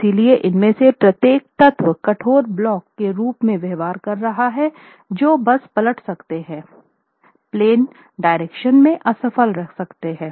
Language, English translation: Hindi, So, what is done is that each of these elements are behaving as rigid blocks that can simply overturn and fail in the out of plane direction